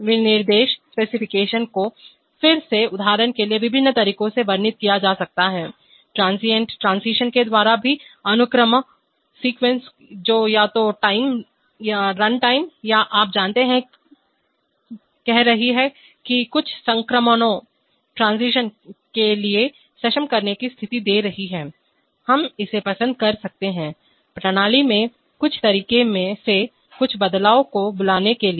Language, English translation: Hindi, So this, this specifications could be again stated in various ways for example, by transient transition even sequences which could be either time, the run time or by, you know, saying that giving the enabling conditions for some transitions that is, we may like to call some transitions in certain ways in the system